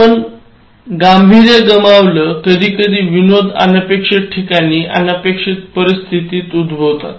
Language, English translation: Marathi, So, you will lose the seriousness, sometimes humour occurs in unusual places, unexpected situations